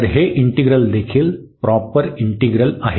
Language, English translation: Marathi, So, this integral is also proper integral